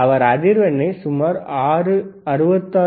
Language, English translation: Tamil, And he is changing the frequency, which is about 66